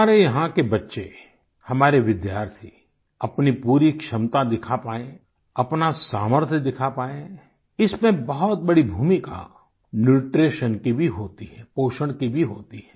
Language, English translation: Hindi, Dear countrymen, for our children and our students to display their optimum potential, show their mettle; Nutrition and proper nourishment as well play a very big role